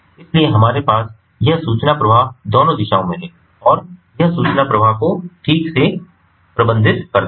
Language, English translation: Hindi, so we have this information flow in both the directions and this information flow has to be managed properly